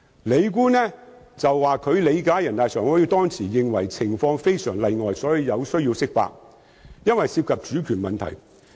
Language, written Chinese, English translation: Cantonese, 李官指，他理解人大常委會當時認為情況非常例外，所以有需要釋法，因為涉及主權問題。, According to Andrew LI he understood that NPCSC regarded the circumstances very exceptional and interpretation of the Basic Law was necessary as issues of sovereignty were involved